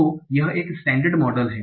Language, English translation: Hindi, So this is a standard model